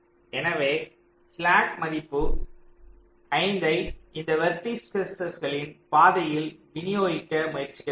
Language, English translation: Tamil, so this slack value of five you try to distribute among these vertices along the path